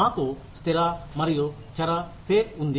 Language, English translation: Telugu, We have fixed and variable pay